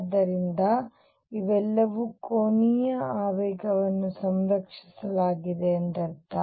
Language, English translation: Kannada, So, all these mean that angular momentum is conserved